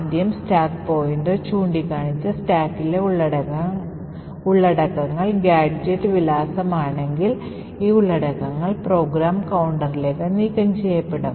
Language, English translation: Malayalam, First the contents pointed to by the stack pointer that is the address of gadget 1 gets loaded into the program counter